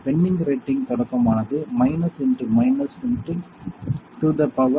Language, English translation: Tamil, Penning rating will be starting is minus into minus x to the power